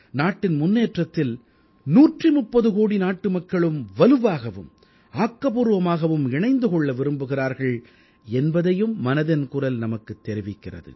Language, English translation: Tamil, 'Mann Ki Baat' also tells us that a 130 crore countrymen wish to be, strongly and actively, a part of the nation's progress